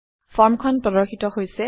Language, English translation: Assamese, There is the form